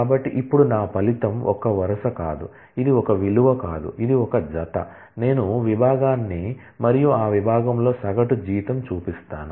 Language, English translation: Telugu, So, my result now, is not a single row, it is not a single value it is a pair where, I show the department and the average salary in that department